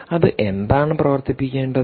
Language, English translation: Malayalam, and what should it run